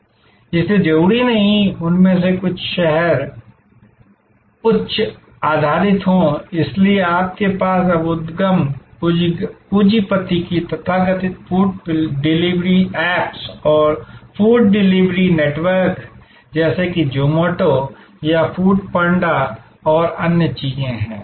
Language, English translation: Hindi, So, not necessarily therefore some of them are high city based, so you do have now drawling of the venture capitalist the so called food delivery apps and food delivery networks like Zomato or Food Panda and so on